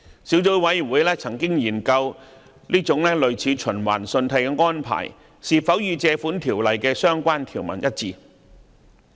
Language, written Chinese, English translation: Cantonese, 小組委員會曾研究這種類似循環信貸的安排是否與《條例》的相關條文一致。, The Subcommittee has examined whether such an arrangement similar to revolving credit is consistent with the relevant provisions of the Ordinance